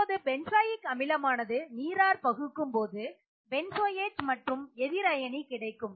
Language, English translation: Tamil, So benzoic acid when dissociates in water you get the benzoate anion and H+